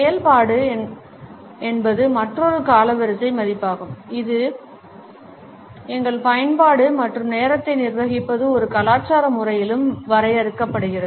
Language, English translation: Tamil, Activity is also another chronemics value our use and manage of time is defined in a cultural manner too